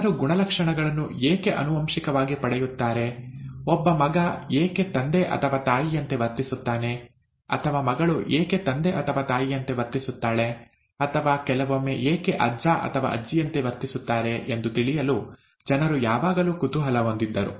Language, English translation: Kannada, People were always curious to know why people inherit characters, why a son behaves like the father or the mother, or the daughter behaves like the father or the mother and so on, or sometimes even like the grandfather or grandmother